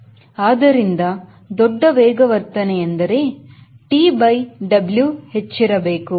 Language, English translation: Kannada, so larger acceleration means t by w should be high